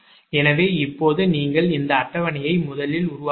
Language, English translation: Tamil, so now with this you make this table first